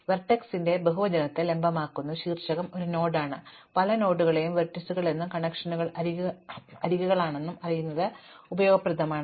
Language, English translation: Malayalam, It is useful to know that vertices is the plural of vertex, so vertex is one node, many nodes are called vertices and these connections are the edges